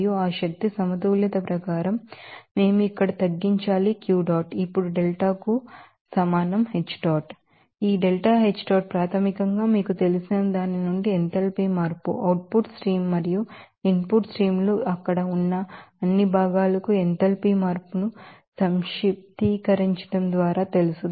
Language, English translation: Telugu, And then as per that energy balance we should be reducing here Q dot will be equal to delta is H dot now, this delta H dot is basically the enthalpy change from its you know, output stream and input streams by summing up all that you know enthalpy change for all components there